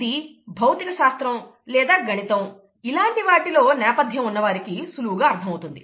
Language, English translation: Telugu, This is rather straightforward for people who have some background in physics, maths and so on